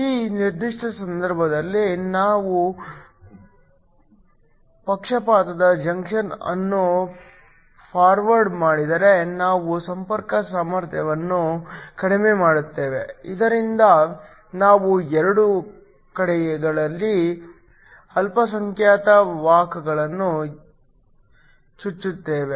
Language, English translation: Kannada, In this particular case, if we forward biased junction we would reduce the contact potential, so that we inject the minority carriers on both sides